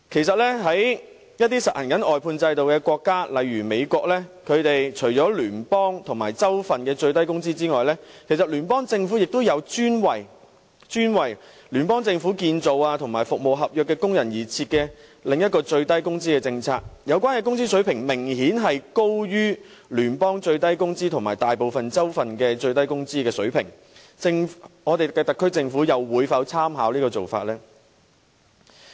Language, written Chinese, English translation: Cantonese, 在一些實行外判制度的國家，例如美國，除了聯邦政府和各州份的最低工資之外，聯邦政府亦有專為建造工程和服務合約的工人而設的另一項最低工資政策，有關工資水平明顯高於聯邦最低工資和大部分州份的最低工資，我們的特區政府會否參考這個做法呢？, In some countries which implement an outsourcing system such as the United States apart from the minimum wage levels set by the federal government and the various states there is a separate minimum wage policy especially formulated by the federal government for workers of construction projects and service contracts . The relevant wage levels are obviously higher than the federal minimum wage level and those in most of the states . Will our SAR Government draw reference from this practice?